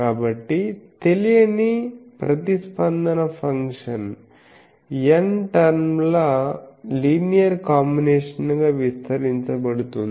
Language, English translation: Telugu, So, the unknown response function is expanded as a linear combination of n terms